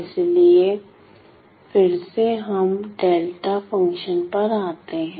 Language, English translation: Hindi, So, again let us come to the delta functions itself